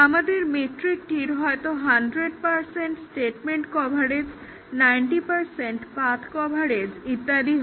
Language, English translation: Bengali, May be our metric is 100 percent statement coverage, 90 percent path coverage and so on